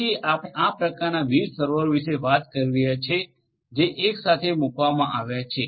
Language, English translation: Gujarati, So, we are talking about these kind of different servers which are placed together